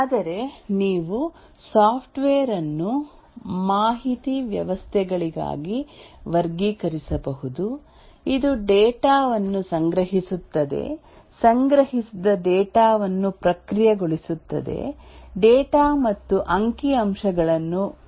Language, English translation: Kannada, But then you can also classify the software into either information systems which store data, process the stored data, present the data and statistics